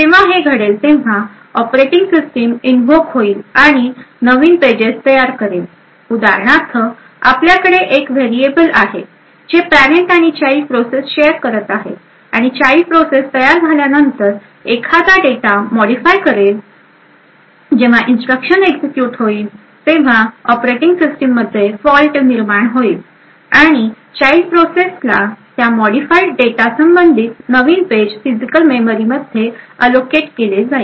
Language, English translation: Marathi, When this happens, then the operating system gets invoked again and a new page gets created for example, let us say we have one variable which is shared between the parent and the child process and let us say after the child gets created, the child process modifies that particular data when that instruction gets executed it would result in a fault in operating system and a new page corresponding to that modified data gets allocated to the child process in the physical memory